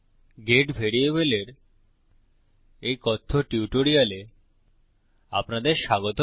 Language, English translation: Bengali, Welcome to this Spoken Tutorial on get variable